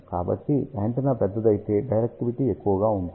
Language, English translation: Telugu, So, larger the antenna, larger will be the directivity